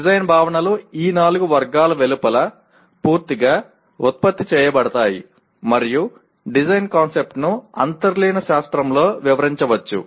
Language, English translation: Telugu, Design concepts are generated completely outside these four categories and a design concept can be explained within/ with the underlying science